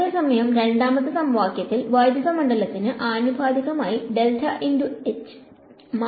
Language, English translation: Malayalam, Whereas, in the second equation, there is a curl of H, there is a rate of change proportional to electric field and the current